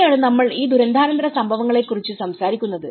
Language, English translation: Malayalam, So that is where, we talk about these post disaster